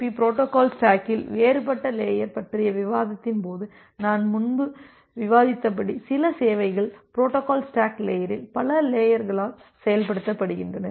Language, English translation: Tamil, So, as I as I discussed earlier during the discussion of a different layer of the TCP/IP protocol stack, that certain services are implemented in multiple layers of the protocol stack